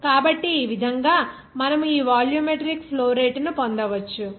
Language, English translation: Telugu, So, in this way you can get this volumetric flow rate